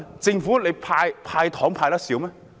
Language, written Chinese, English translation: Cantonese, 政府"派糖"還派得少嗎？, Has the Government given out too little sweeteners?